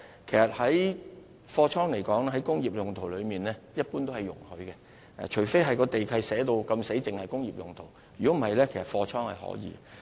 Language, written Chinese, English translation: Cantonese, 其實，把工業大廈用作貨倉一般是容許的，除非地契註明只可用作工業用途，否則用作貨倉是可以的。, As a matter of fact it is generally permitted to use industrial buildings as godowns unless it is stipulated in the land lease that the building can only be used for industrial purposes